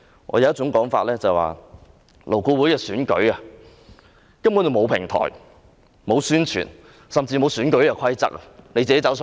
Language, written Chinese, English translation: Cantonese, 有一種說法是，勞顧會委員的選舉根本沒有平台，沒有宣傳，甚至沒有選舉規則。, Another view is that in respect of the election of LAB there is no platform no publicity and even election rules are not formulated